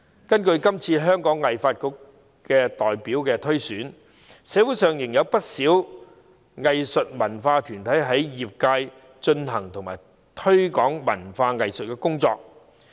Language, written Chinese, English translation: Cantonese, 從今次香港藝術發展局代表推選所見，社會上仍有不少藝術文化團體在業界進行和推廣文化藝術工作。, As reflected in the current nomination of representatives for the Hong Kong Arts Development Council there are still many arts and cultural bodies in the sector undertaking and promoting culture and arts in the community